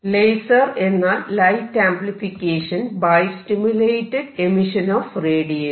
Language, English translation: Malayalam, Laser means light amplification by stimulated emission of radiation